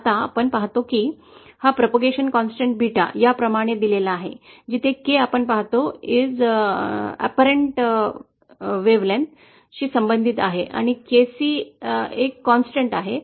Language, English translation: Marathi, Now we see that the propagation constant Beta is given like this, where K is related to the actual wavelength that we see and KC is a constant